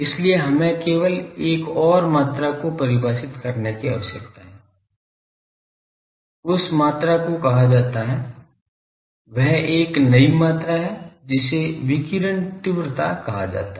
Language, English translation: Hindi, So, we just need to define another quantity that quantity is called that is a new quantity it is called